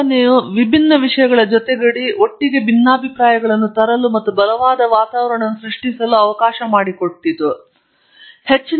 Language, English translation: Kannada, The idea was to bring unlike minds together from different disciplines together, and allow them to create the right atmosphere, give them a lot of freedom, but structure interactions